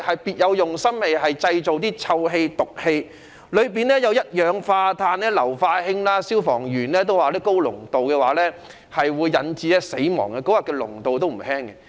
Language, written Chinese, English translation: Cantonese, 別有用心的人投擲物品，釋放臭氣、毒氣，當中所含一氧化碳和硫化氫的濃度不低，而消防員也說高濃度可致人死亡。, A person with an ulterior motive threw an object that emitted a foul smell and poisonous gases . Its concentration of carbon monoxide and hydrogen sulphide was not low and even firefighters said that a high concentration could be lethal